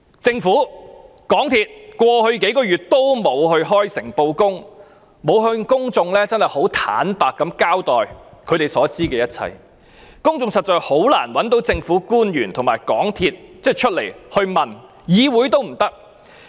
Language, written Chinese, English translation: Cantonese, 政府和港鐵公司過去幾個月也沒有開誠布公向公眾坦白地交代他們所知的一切，公眾實在很難令政府官員和港鐵公司高層回答問題，議會也不能做到。, Over the past few months neither the Government nor MTRCL has clearly given an account of everything they know to the public honestly . It is indeed difficult for the public to make government officials and MTRCLs senior management answer questions; nor can this Council do so